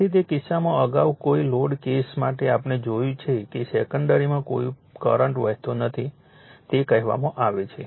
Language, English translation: Gujarati, So, in that case so earlier in for no load cases we have seen that you are what you call there was no current flowing in the secondary, right